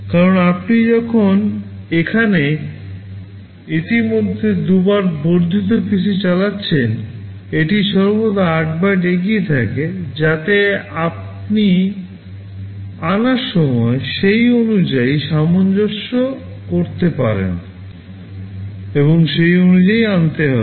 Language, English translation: Bengali, Because when you are executing here already incremented PC two times it is always 8 bytes ahead, so that when you are fetching you should accordingly adjust and fetch accordingly